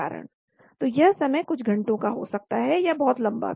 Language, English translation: Hindi, So this time could be few hours, much longer also